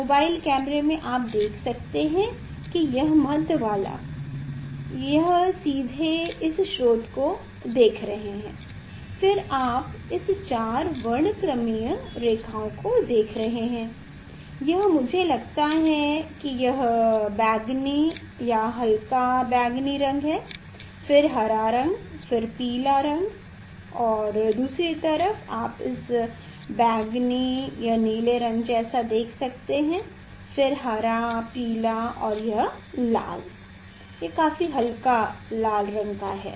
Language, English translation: Hindi, in mobile camera you can see we can see that this middle one is the directly this we are seeing the source this side you see this four spectral lines you are getting this is I think these it is a violet more or less violet color, then green color, then yellow color and other side you can see this violet or for blue kind of things and then green and then your yellow color and then this red, this very faint one red